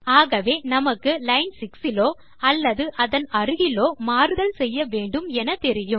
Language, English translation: Tamil, See you know you need to change something on line 6 or nearer line 6